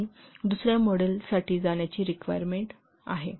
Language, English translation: Marathi, So there is a need to go for another model